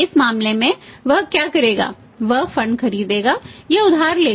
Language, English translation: Hindi, In this case what he will do, he would buy or borrow funds